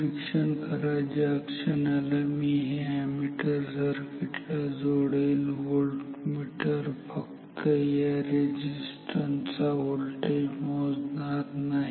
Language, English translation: Marathi, Observe the moment I have inserted this ammeter in this circuit this voltmeter is not measuring the voltage across this resistance